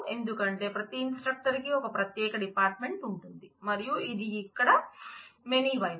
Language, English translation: Telugu, Because every instructor has a unique department and this is the many side here